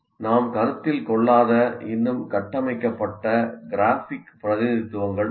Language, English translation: Tamil, Still there are more structured graphic representations which we will not see here